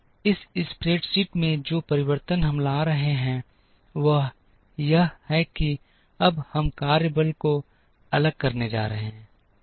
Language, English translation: Hindi, The change that we bring in this spreadsheet is that, we are now going to vary the workforce